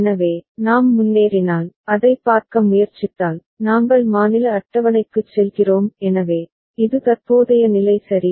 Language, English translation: Tamil, So, then if we move ahead, so if we try to see it, we go to the state table right; so, this is the present state ok